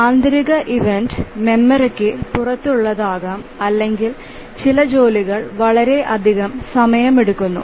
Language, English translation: Malayalam, The internal event may be, that may be the memory, out of memory, or maybe some task is taking too much time